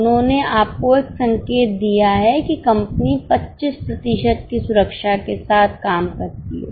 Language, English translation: Hindi, They have given a hint to you that company operates at a margin of safety of 25%